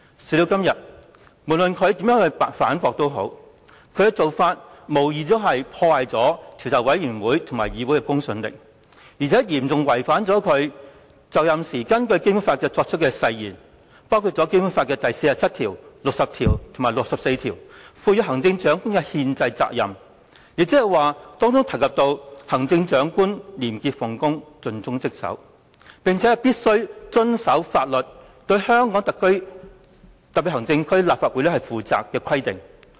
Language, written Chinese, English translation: Cantonese, 事到如今，無論他如何反駁，其做法亦無疑破壞了專責委員會及議會的公信力，並嚴重違反他在就任時根據《基本法》所作的誓言，包括第四十七條、第六十條及第六十四條賦予行政長官的憲制責任，即是有關"行政長官廉潔奉公、盡忠職守，並且必須遵守法律，對香港特別行政區立法會負責"的規定。, No matter how he argues he has undoubtedly undermined the credibility of the Select Committee and this Council and has seriously violated the undertaking he made pursuant to the Basic Law when he sworn into office including the constitutional duty under Articles 47 60 and 64 which requires that the Chief Executive to be a person of integrity dedicated to his or her duties and must abide by the law and be accountable to the Legislative Council of the Region